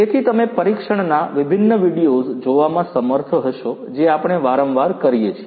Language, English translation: Gujarati, So, you would be able to see different videos of testing that we often do